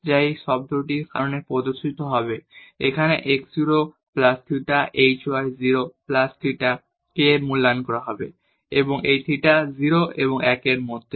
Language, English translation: Bengali, Which will be appearing because of this term, will be evaluated here at x 0 plus theta h y 0 plus theta k and this theta is between 0 and 1